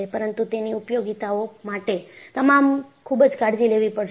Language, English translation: Gujarati, But its utility you have to be very careful